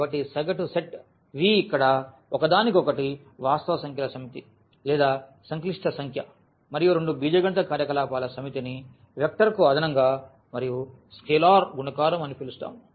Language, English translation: Telugu, So, the mean set V here one another set of real numbers or the set of complex number and two algebraic operations which we call vector addition and scalar multiplication